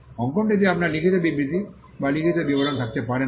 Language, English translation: Bengali, You cannot have written statements or written descriptions in the drawing